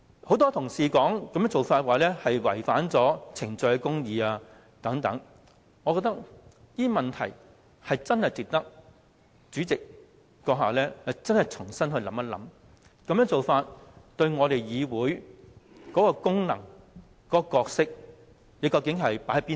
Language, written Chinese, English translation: Cantonese, 很多同事說這做法違反程序公義，我覺得這些意見值得主席閣下深思，並重新考慮你究竟將議會的功能和角色放在哪個位置上？, Many colleagues have pointed out that the practice has violated procedural justice . I think that you the Honourable President should ponder upon these views and reconsider in what position you have placed the function and role of this Council